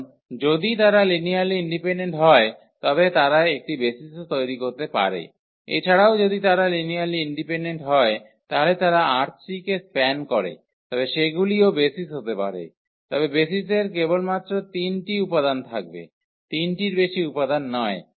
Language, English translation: Bengali, Because, if they are linearly independent then they can form a basis also, if they are linearly independent and they span the R 3 then they can be also basis, but basis will have only 3 elements not more than 3 elements